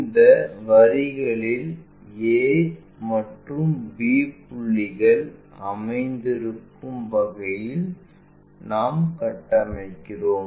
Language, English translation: Tamil, On these lines we construct in such a way that a and b points will be located